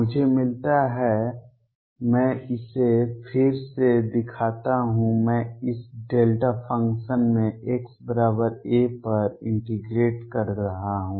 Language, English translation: Hindi, I get, let me show it again I am integrating across this delta function here at x equals a